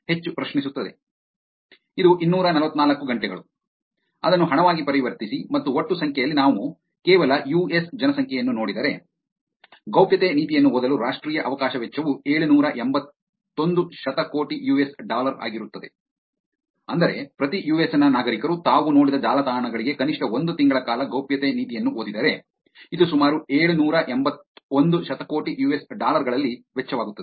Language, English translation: Kannada, It is 244 hours, convert it into money, , and in total number, if we just look at the US population, national opportunity cost for reading privacy policy would be 781 billion US dollars, which is, if I get every citizen of the US to read the privacy policy for least one month for the websites they have seen, it would cost in some 781 billion dollars